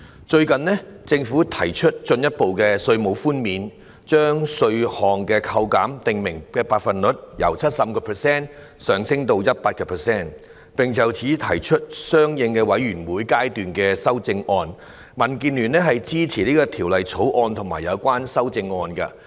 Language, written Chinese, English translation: Cantonese, 最近政府提出進一步的稅務寬免，將稅項扣減的訂明百分率，由 75% 提升至 100%， 並就此提出相應的委員會階段修正案，民主建港協進聯盟支持《條例草案》和有關修正案。, Recently the Government has proposed further tax reductions raising the specified percentage rate of tax reductions from 75 % to 100 % . To this end corresponding Committee stage amendments have been proposed . The Democratic Alliance for the Betterment and Progress of Hong Kong DAB supports the Bill and the relevant amendments